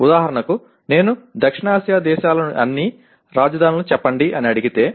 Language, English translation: Telugu, For example if I want to call give me the capitals of all the South Asian countries